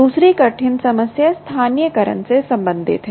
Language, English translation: Hindi, the second hard problem is related to localization